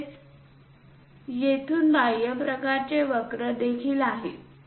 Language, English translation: Marathi, Similarly, there are exterior kind of curves from here